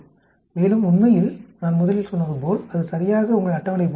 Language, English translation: Tamil, And in fact, as I originally told you that is exactly like your table